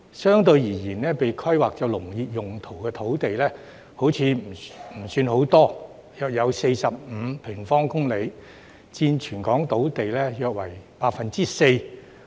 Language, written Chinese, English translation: Cantonese, 相對而言，被規劃作農業用途的土地好像不算太多，約有45平方公里，佔全港土地面積約 4%。, In comparison it seems that not much land is zoned for agricultural purposes which accounts for about 4 % of the territorys total land area